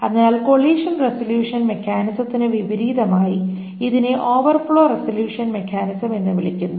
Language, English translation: Malayalam, So as opposed to a collision resolution mechanism, this is called an overflow resolution mechanism